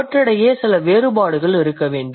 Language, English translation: Tamil, There must be some differences